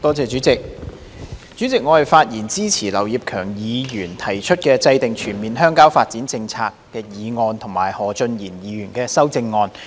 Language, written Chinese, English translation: Cantonese, 代理主席，我發言支持劉業強議員"制訂全面鄉郊發展政策"的議案及何俊賢議員的修正案。, Deputy President I speak in support of Mr Kenneth LAUs motion on Formulating a comprehensive rural development policy and Mr Steven HOs amendment to the motion